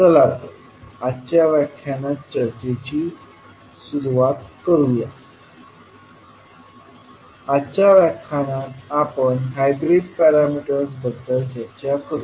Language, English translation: Marathi, So, let us start the discussion of today’s lecture, we will discuss about the hybrid parameters in today's session